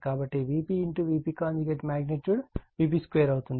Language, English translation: Telugu, So, V p into V p conjugate will be magnitude V p square